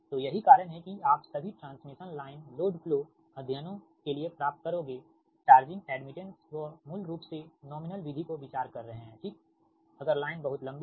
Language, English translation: Hindi, so that's why you will find, for all transmission line load flow studies, charging, admittance, they are considering basically nominal pi method, right, if line is too long, so this is per overhead transmission line